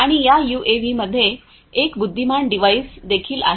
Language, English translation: Marathi, And, this UAV also has an intelligent device